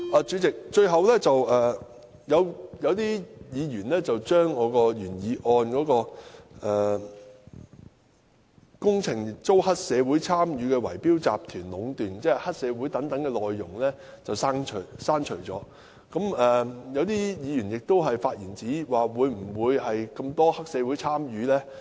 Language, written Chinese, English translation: Cantonese, 主席，最後，有議員把我的原議案內"工程遭黑社會參與的圍標集團壟斷"有關黑社會等內容刪除，亦有議員發言質疑有否這麼多黑社會參與。, President finally a Member seeks to delete the phrase works have been monopolized by bid - rigging syndicates involving triad members from my original motion . Some Members questioned whether there is so much triad involvement